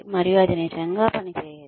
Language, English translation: Telugu, And, that really does not work